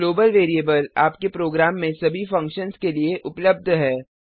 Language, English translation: Hindi, A global variable is available to all functions in your program